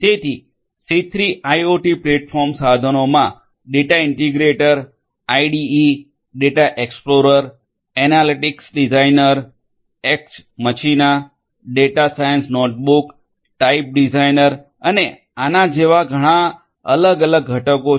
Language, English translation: Gujarati, So, C3 IoT platform tools you know have different; different components such as the Data Integrator, IDE, Data Explorer, Analytics Designer, EX Machina, Data Science Notebook, Type Designer and so on